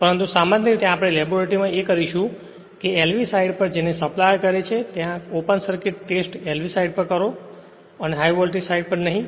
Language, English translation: Gujarati, But in the laboratory right that generally we will perform that this one on LV side your what you call the supplier that youryour open circuit test, you perform on the LV side andnot on the high voltage side right